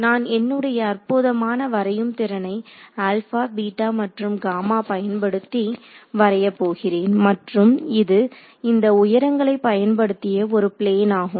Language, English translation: Tamil, So, it is going to be if I am going to use my fantastic drawing skills this would be alpha then gamma and beta and it is a plane that is at suspended by these heights over here ok